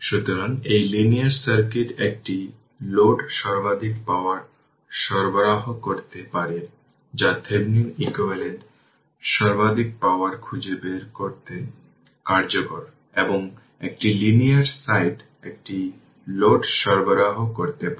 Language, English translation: Bengali, So, a linear a linear circuit can deliver to a load right maximum power that is the Thevenin equivalent useful in finding maximum power and a linear site can linear circuit can deliver to a load